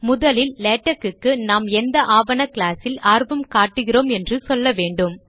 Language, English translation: Tamil, The first thing to do is the tell latex what document class we are interested in